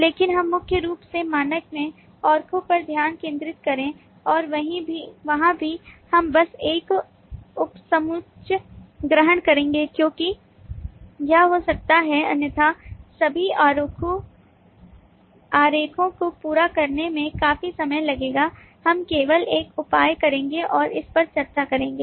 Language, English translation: Hindi, but we will concentrate primarily on the diagrams in the standard and there too we will just take up a subset, because it may be otherwise quite a lot of time taking to complete all of the diagrams